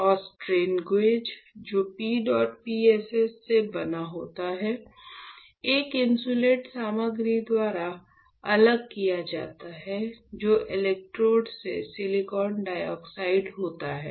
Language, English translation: Hindi, And the strain gauge which is made up of PEDOT PSS is separated by an insulating material which is silicon dioxide from the electrodes